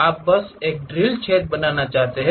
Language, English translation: Hindi, You just want to make a drill, hole